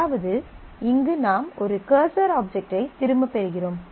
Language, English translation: Tamil, So, you get back a cursor object